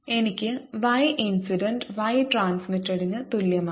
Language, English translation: Malayalam, i have: y incident plus y reflected is equal to y transmitted